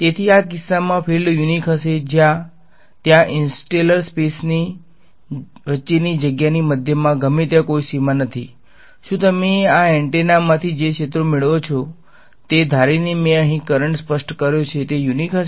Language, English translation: Gujarati, So, in this case will the fields be unique there is no boundary anywhere it is in middle of interstellar space; will the fields that you get from this antenna supposing I have specified the current over here will they be unique